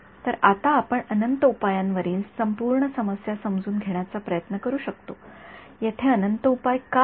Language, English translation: Marathi, So, now we can try to understand the whole problem on infinite solutions why are there infinite solutions